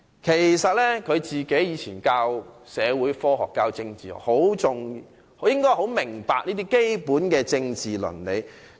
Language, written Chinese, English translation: Cantonese, 其實，他過去教授社會科學及政治，應該十分明白這些基本的政治倫理才對。, As a matter of fact he used to teach social sciences and politics he should clearly understand these basic political ethics